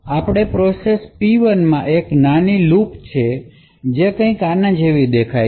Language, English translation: Gujarati, Now, process P1 has a small loop which looks something like this